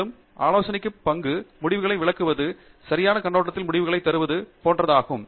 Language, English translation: Tamil, And also, the role of the advisor is to help you interpret the results, put the results in the right perspective and so on